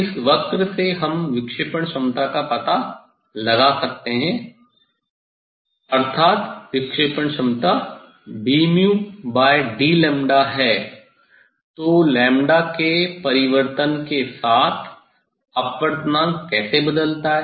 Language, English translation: Hindi, from this curve we can find out the dispersive power, so that is mean dispersive power is d mu by d lambda, so with change of lambda how refractive index changes